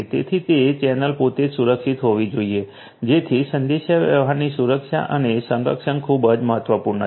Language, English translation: Gujarati, So, that channel itself has to be secured so communications security and protection is very important